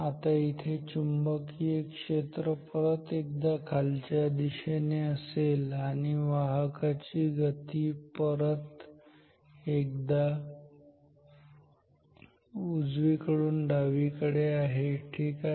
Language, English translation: Marathi, Now the magnetic field once again here is like this down downwards and the motion is of the conductor is again from right to left ok